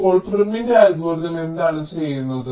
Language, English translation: Malayalam, now, prims algorithm, what it does